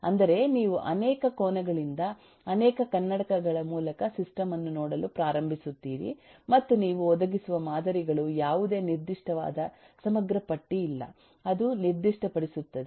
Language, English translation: Kannada, that is, you start looking at the system from multiple angles, through multiple glasses and there is no very specific exhaustive list of models that you will provide that will specify eh